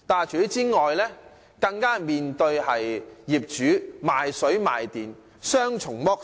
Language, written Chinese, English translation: Cantonese, 除此之外，更須向業主買水買電，被雙重剝削。, In addition to the rent tenants have to pay their landlords for the supply of water and electricity